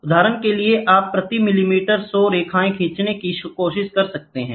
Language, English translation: Hindi, For example, you can try to have 100 lines drawn per millimeter